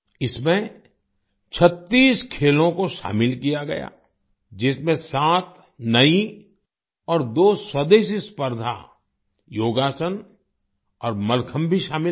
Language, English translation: Hindi, 36 sports were included in this, in which, 7 new and two indigenous competitions, Yogasan and Mallakhamb were also included